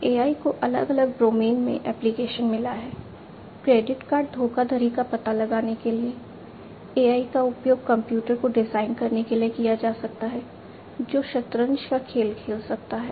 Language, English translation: Hindi, AI finds the application in different domains in for credit card fraud detection AI could be used, AI could be used for designing a computer, which can play the game of chess